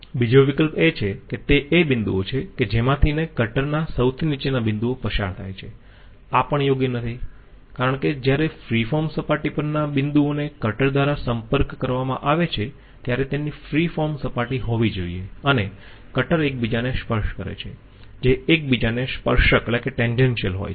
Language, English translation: Gujarati, 2nd option, are the points through which the bottommost point of cutter is moved, this is also not correct because the points on the free form surface when contacted by the cutter should have the free form surface and the cutter touching each other, tangential to each other